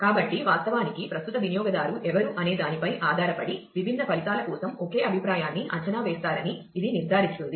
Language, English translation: Telugu, So, this will ensure that depending on who is actually the current user, the same view will be evaluated for different results